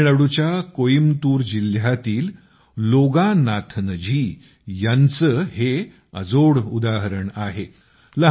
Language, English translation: Marathi, Loganathanji, who lives in Coimbatore, Tamil Nadu, is incomparable